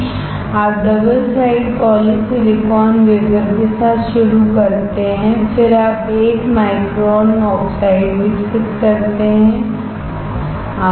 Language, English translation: Hindi, You start with double side poly silicon wafer, then you grow 1 micron oxide, easy